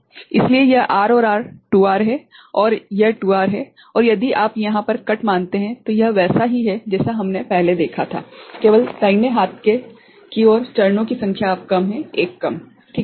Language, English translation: Hindi, So, this is R and R 2R and this is 2R and if you take a cut over here, it is similar to what we had seen before only the number of stages to the right hand side is now less, one less ok